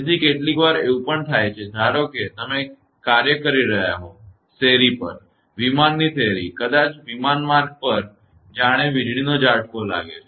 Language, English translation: Gujarati, So, sometimes it may happen that suppose you are working; on street; plane street maybe lightning stroke happens on the plane road also